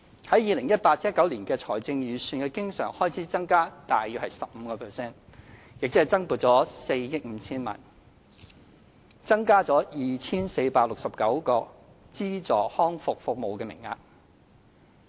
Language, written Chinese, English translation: Cantonese, 在 2018-2019 年度相關財政預算的經常開支增加約 15%， 即增撥約4億 5,000 萬元，增加 2,469 個資助康復服務名額。, The relevant estimated recurrent expenditure budgeted for 2018 - 2019 saw an increase of around 15 % or some 450 million in additional provision with 2 469 more places for subverted rehabilitation services on offer